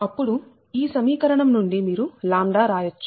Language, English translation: Telugu, then from this equation you can write lambda